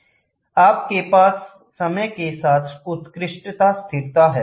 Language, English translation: Hindi, They have excellent stability over time